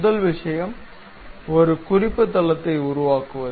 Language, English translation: Tamil, First thing is constructing a reference plane